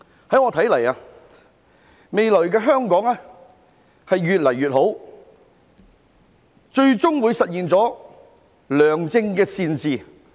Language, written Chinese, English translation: Cantonese, 依我所看，未來的香港會越來越好，最終會實現良政善治。, In my opinion the future of Hong Kong will be getting brighter and brighter and eventually good governance will be achieved